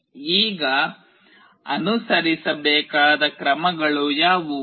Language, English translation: Kannada, Now, what are the steps to be followed